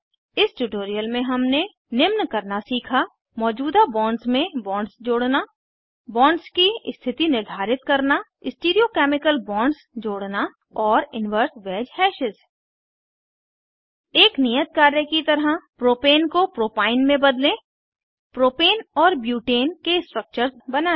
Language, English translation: Hindi, In this tutorial we have learnt to, * Add bonds to the existing bond * Orient the bonds * Add Stereochemical bonds * and Inverse wedge hashes As an assignment, * Convert Propane to Propyne * Draw Propane and butane structures * Show the stereochemical bonds